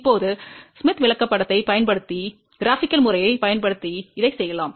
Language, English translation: Tamil, Now, the same thing can also be done using the graphical method by using Smith Chart